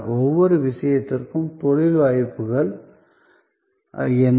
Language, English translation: Tamil, What are the career prospects in each case